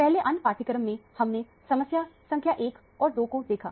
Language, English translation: Hindi, Earlier in the other module, we saw the problem number 1 and 2